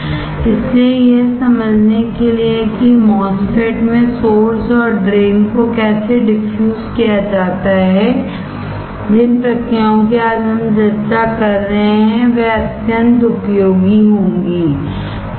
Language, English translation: Hindi, So, to understand how source and drain are diffused in the MOSFET these processes is that we are discussing today will be extremely useful, alright